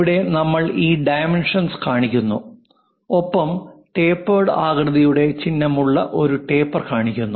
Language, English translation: Malayalam, Here we are showing these dimensions and also something like a tapered one with a symbol of tapered shape